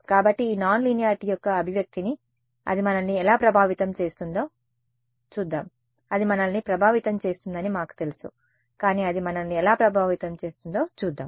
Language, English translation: Telugu, So, let us see the manifestation of this nonlinearity in how does it affect us, we know it is going to affect us, but how it is going to affect us